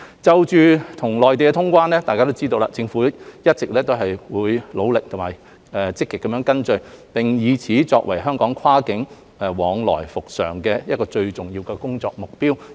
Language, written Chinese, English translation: Cantonese, 就與內地通關，政府一直努力和積極跟進，並以此作為香港跨境往來復常的最重要工作目標。, The HKSAR Government has all along been working tirelessly and actively towards quarantine - free travel with the Mainland to enable the resumption of normal cross - boundary activities as the most important target